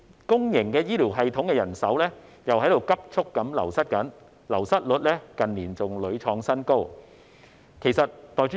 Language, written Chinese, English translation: Cantonese, 公營醫療系統人手急速流失，流失率在近年亦屢創新高。, The public healthcare system has been experiencing a rapid brain drain with the attrition rate reaching record highs in recent years